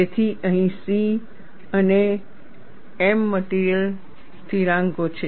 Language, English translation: Gujarati, So, here C and m are material constants